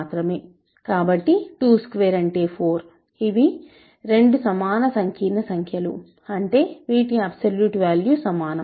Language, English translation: Telugu, So, 2 squared is 4, these are 2 equal complex numbers that means, absolute values are equal